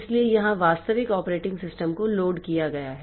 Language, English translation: Hindi, So, here the actual operating system is loaded here